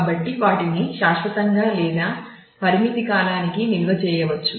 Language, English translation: Telugu, So, they can be stored permanently or for a limited period of time